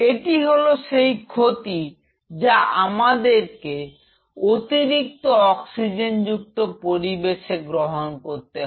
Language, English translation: Bengali, That is the penalty we pay for being an oxygenated environment